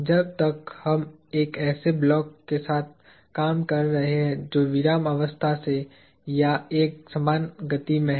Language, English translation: Hindi, As long as we are dealing with a block that is at rest or in uniform motion